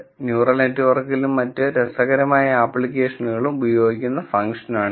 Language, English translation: Malayalam, So, this is the function that is used in neutral networks and other very interesting applications